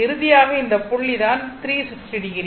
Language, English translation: Tamil, And finally, this point is 360 degree